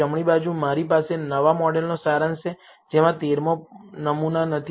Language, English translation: Gujarati, On the right, I have the summary of the new model, which does not contain the 13th sample